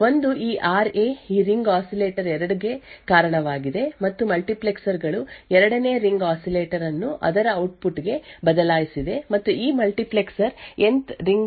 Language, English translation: Kannada, One is this RA is due to this ring oscillator 2, and the multiplexers which has switched 2nd ring oscillator into its output and this multiplexer has switched the Nth ring oscillator to RB